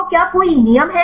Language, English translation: Hindi, So, are there any rules